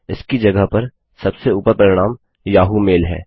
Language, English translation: Hindi, Instead the top result is Yahoo mail